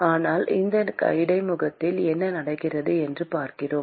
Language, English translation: Tamil, But we are looking at what happens with that interface